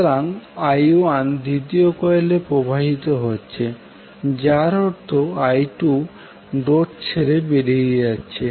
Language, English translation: Bengali, So the current is flowing I 2 is flowing in the second coil that means that I2 is leaving the dot